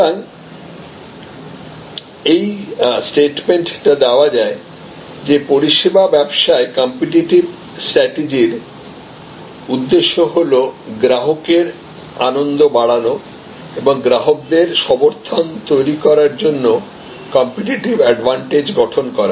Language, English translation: Bengali, So, this is a statement that the objective of a competitive strategy in services business is to generate a competitive advantage to enhance customers delight and create customer advocacy